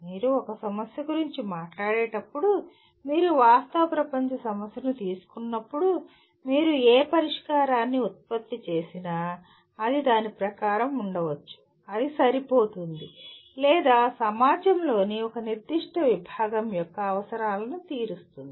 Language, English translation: Telugu, When you talk about a problem, when you take a real world problem, whatever solution you produce, it may be as per the, it may be adequate or it meets the requirements of a certain segment of the society